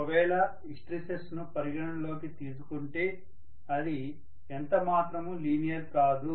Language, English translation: Telugu, If you consider hysteresis it is not linear anymore